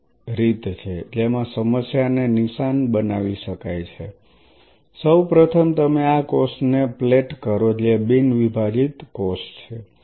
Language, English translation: Gujarati, One of the ways one can target the problem is you first of all plate these cells which sells the non dividing cells